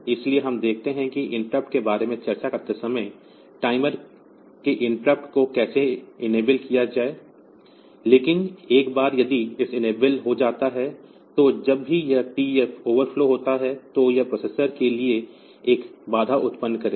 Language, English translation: Hindi, So, we see how to enable the timer interrupt while discussing about the interrupts, but once if this is enabled, then whenever this TF is overflow